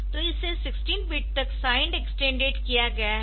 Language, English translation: Hindi, So, this is extended to 16 bit sign extended to 16 bit